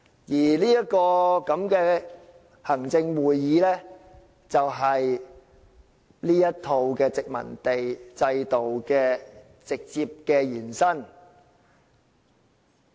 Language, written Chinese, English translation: Cantonese, 至於行政會議，便是這一套殖民地制度的直接延伸。, As for the Executive Council it is exactly a direct extension of the colonial system